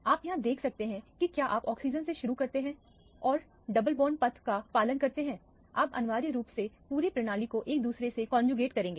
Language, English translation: Hindi, You can see here if you start from the oxygen and follow the double bond path way, you will essentially have the entire system conjugated to each other